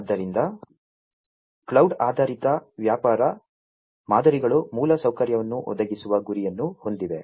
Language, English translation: Kannada, So, cloud based business models aim at providing an infrastructure